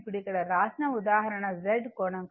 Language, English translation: Telugu, Now, next that is here written example Z angle